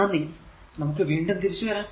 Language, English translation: Malayalam, Ok Thank you we will be back again